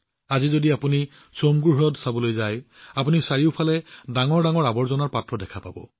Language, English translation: Assamese, Today, if you go to see the Tsomgolake, you will find huge garbage bins all around there